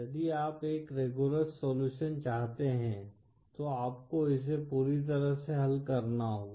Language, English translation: Hindi, If you want a rigorous solution then you have to solve it completely